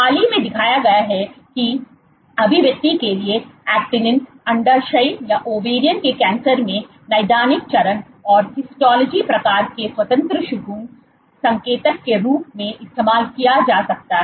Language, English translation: Hindi, What is also been recently shown is actinin for expression in ovarian cancers has been can be used as a prognostic indicator of independent of clinical stage and histology type